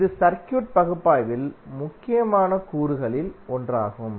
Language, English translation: Tamil, This is also one of the important component in our circuit analysis